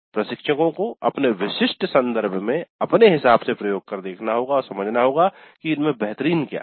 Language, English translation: Hindi, So, the instructors have to experiment in their specific context and see what works best